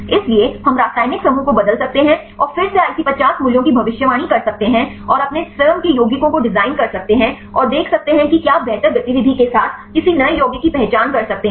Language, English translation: Hindi, So, we can change the chemical group and then again predicted predict the IC50 values and you can design your own compounds and see whether you can identify any new compounds with better activity